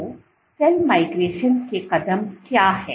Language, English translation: Hindi, So, what are the steps of cell migration